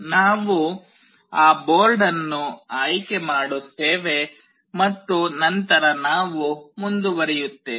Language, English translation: Kannada, We select that board and then we move on